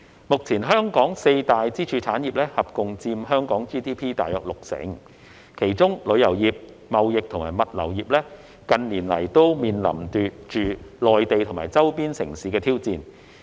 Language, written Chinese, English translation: Cantonese, 目前香港四大支柱產業合共佔香港 GDP 約六成，其中旅遊業、貿易及物流業近年來均面臨着來自內地或周邊城市的挑戰。, The four pillar industries of Hong Kong together account for about 60 % of its GDP with tourism trade and logistics industries facing challenges from the Mainland or neighbouring cities in recent years